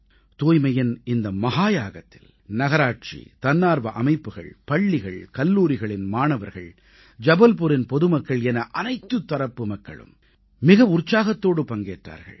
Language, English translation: Tamil, In this 'Mahayagya', grand undertaking, the Municipal Corporation, voluntary bodies, School College students, the people of Jabalpur; in fact everyone participated with enthusiasm & Zest